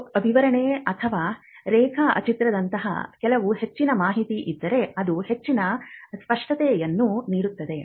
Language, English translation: Kannada, If there are some further information like a description or drawing that needs that can add further clarity